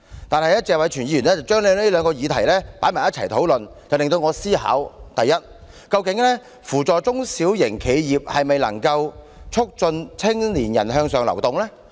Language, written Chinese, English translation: Cantonese, 但是，謝偉銓議員將兩項議題放在一起討論，促使我思考：第一，究竟扶助中小企是否就能促進青年人向上流動？, Mr Tony TSE however put them under the same motion . It makes me wonder Firstly can upward mobility of young people be promoted by assisting SMEs?